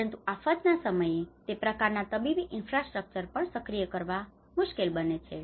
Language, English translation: Gujarati, So in the time of disasters, even access to that kind of medical infrastructures also becomes difficult